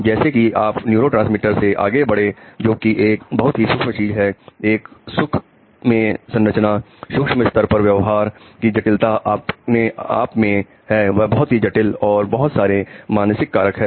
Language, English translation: Hindi, Now as you go from neurotransmitter which is a micro thing, a micro structure, a micro level to the complexity of behavior behavior itself is very complex